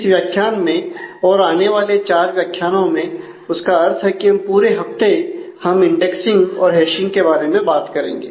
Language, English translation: Hindi, In this module and the next 4; that is for the whole of this week we will talk about indexing and hashing